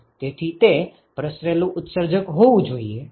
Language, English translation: Gujarati, So, it has to be a diffuse emitter yes